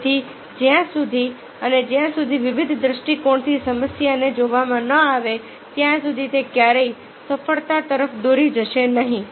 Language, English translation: Gujarati, so until unless, from the varied prospective, the problem is seen, it will never lead to success